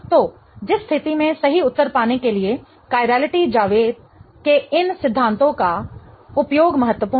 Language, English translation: Hindi, So, in which case the use of these principles of chirality is going to be vital to get to the right answer